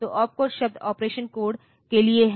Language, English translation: Hindi, So, opcode the word stands for operation code